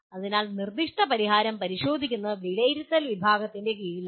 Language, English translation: Malayalam, So if you look at examining a proposed solution comes under the category of evaluation